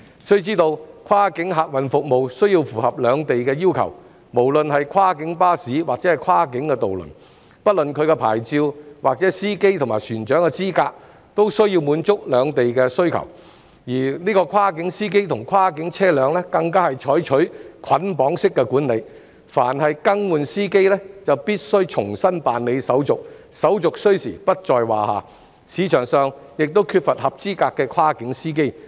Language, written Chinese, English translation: Cantonese, 須知道，跨境客運服務需要符合兩地要求，無論是跨境巴士或跨境渡輪，不論其牌照或司機和船長的資格，均需要滿足兩地要求，而跨境司機及跨境車輛更是採取捆綁式管理，凡更換司機便必須重新辦理手續，手續需時不在話下，市場上亦缺乏合資格的跨境司機。, It is important to note that cross - boundary passenger services have to meet the requirements in both places . Both cross - boundary coaches and cross - boundary ferries regardless of their licences and qualifications of their drivers and captains have to satisfy the requirements in both places . Furthermore cross - boundary drivers and cross - boundary vehicles are managed in a bundled manner